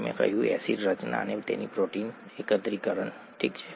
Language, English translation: Gujarati, We said acid formation and then protein aggregation, okay